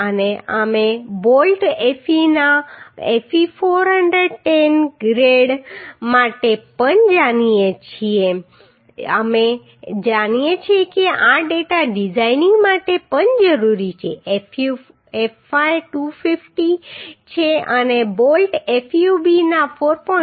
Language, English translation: Gujarati, And also we know for Fe 410 grade of bolt Fe we know this data also will be required for designing Fu fy is 250 and for 4